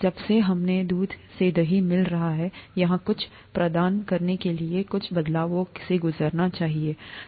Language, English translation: Hindi, Since we are getting curd from milk, something here must be undergoing some changes to provide curd